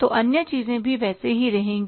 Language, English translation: Hindi, So, other things will remain the same